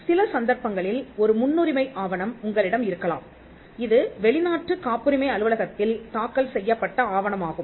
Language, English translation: Tamil, In some cases, there could be a priority document which is a document filed in a foreign patent office